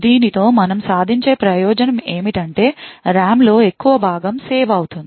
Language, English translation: Telugu, The advantage to we achieve with this is that a large portion of the RAM gets saved